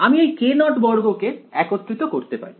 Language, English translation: Bengali, I can gather the k naught squared together